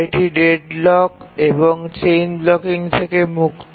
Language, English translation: Bengali, It's free from deadlock and chain blocking